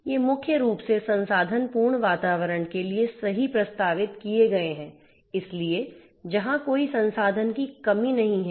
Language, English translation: Hindi, These have been proposed primarily for resourceful environments right; so, where there is no resource constraints